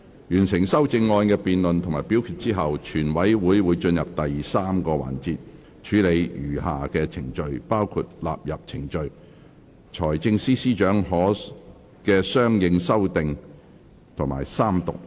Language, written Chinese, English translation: Cantonese, 完成修正案的辯論及表決後，全委會會進入第三個環節，處理餘下程序，包括納入程序、財政司司長的相應修訂及三讀。, Following the conclusion of debates and voting on the amendments committee will move on to the third session to process the remaining proceedings including the questions of the clauses standing part of the Bill the Financial Secretarys consequential amendments and Third Reading